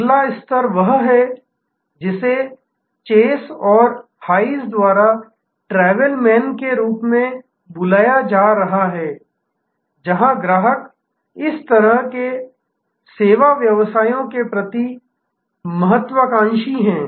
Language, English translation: Hindi, The next level is what is being called by chase and hayes as journey man, where customers are sort of ambivalent towards this kind of service businesses